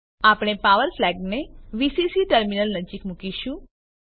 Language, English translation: Gujarati, We will place the Power flag near Vcc terminal